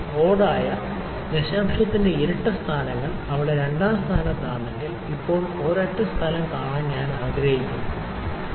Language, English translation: Malayalam, If the odd, the even places of decimal at the second place over there, now, I would like to see the single place; the odd places are also be there